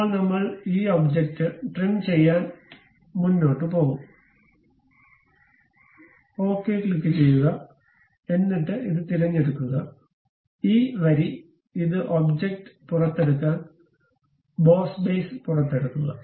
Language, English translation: Malayalam, Now, I will go ahead trim this object, click ok; then pick this one, this line, this one, this one to extrude the object, extrude boss base